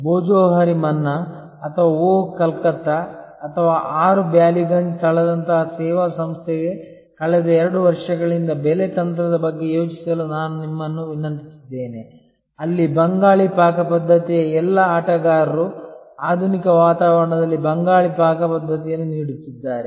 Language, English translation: Kannada, And as you recall I had requested you to think about the pricing strategy for the last next 2 years for a service organization like Bhojohori Manna or Oh Calcutta or 6 Ballygunge place, there all players in the Bengali Cuisine offering Bengali Cuisine in modern ambience